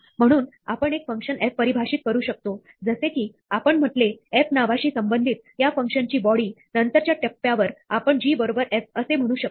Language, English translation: Marathi, So, we can define a function f, which as we said, associates with the name f, the body of this function; at a later stage, we can say g equal to f